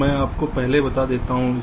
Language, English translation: Hindi, so ah, let me just tell you first